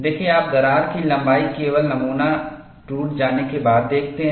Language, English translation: Hindi, See, you see the crack length, only after the specimen is broken